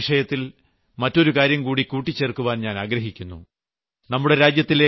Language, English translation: Malayalam, While we are on the subject of health, I would like to talk about one more issue